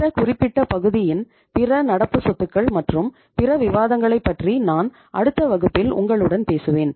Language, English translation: Tamil, About the other current assets and other discussion on this particular area Iíll be talking to you in the next class